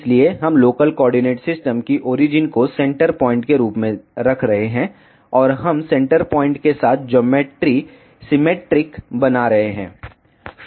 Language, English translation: Hindi, So, we are keeping the the origin of local coordinate system as the centre point, and we are making the geometry symmetric along the centre point